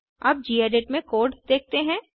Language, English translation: Hindi, Now look at the code in gedit